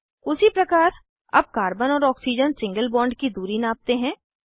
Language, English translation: Hindi, Similarly, lets measure the carbon and oxygen single bond distance